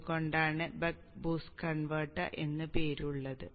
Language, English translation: Malayalam, So this is how the buck boost converter operates